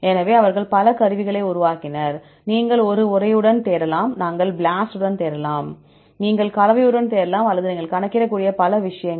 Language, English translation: Tamil, So, they developed several tools: you can search with a text, you can search with BLAST, you can search with the composition, or many things you can calculate